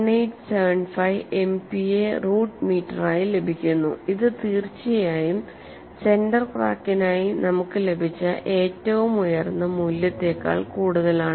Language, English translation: Malayalam, 1875 sigma MPa root meter which is definitely higher than the highest value we got for the center crack